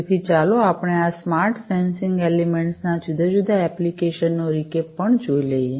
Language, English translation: Gujarati, So, before we do let us take a recap also of the different applications of these smart sensing elements